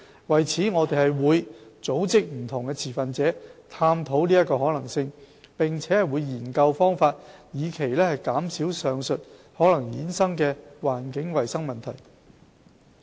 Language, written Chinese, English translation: Cantonese, 為此，我們會組織不同持份者探討其可行性，並會研究方法以期減少上述可能衍生的環境衞生問題。, We will nonetheless gather different stakeholders to look into such possibility and study methods to minimize the environmental hygiene problems that might be caused as above mentioned